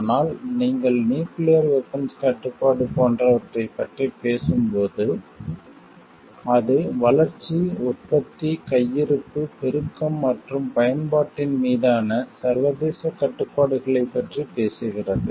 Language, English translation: Tamil, But when you are talking of like nuclear arms control, it talks to the international restrictions on the development production stocking proliferation and usage